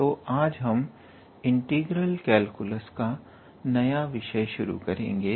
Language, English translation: Hindi, So today we are going to start a new topic in our integral calculus section